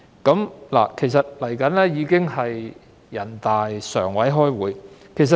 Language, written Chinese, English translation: Cantonese, 《馬拉喀什條約》尚待人大常委會確認。, The Marrakesh Treaty is still pending ratification by NPCSC